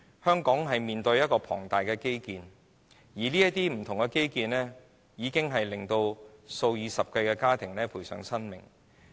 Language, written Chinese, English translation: Cantonese, 香港正進行多項龐大基建項目，已令數以十計的家庭喪失家庭成員。, The various massive infrastructure projects now underway in Hong Kong have led to the loss of members in dozens of families